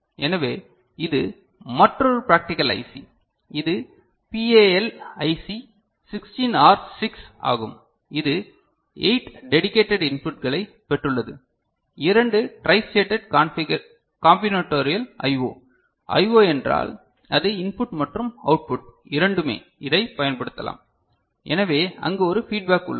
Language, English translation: Tamil, So, another practical IC this is PAL IC 16R6, it has got 8 dedicated inputs, 2 tristated combinatorial I O; I O means it is both input and output it can be used, so, there is a feedback there